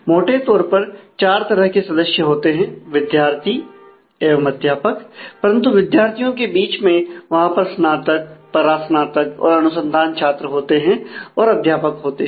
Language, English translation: Hindi, There are four categories of members broadly: students and teachers, but amongst students if they could be undergraduate postgraduate or research students and the faculty members